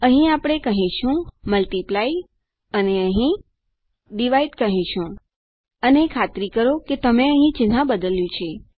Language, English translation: Gujarati, And here well say multiply and well say divide and make sure you change the sign here